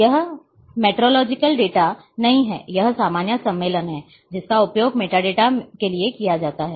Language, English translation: Hindi, This is not metrological data this is this is the normal convention is used for metadata